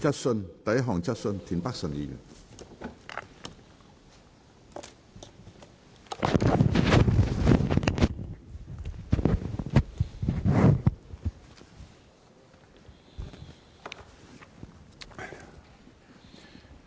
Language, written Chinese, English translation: Cantonese, 第一項質詢。, First question . 1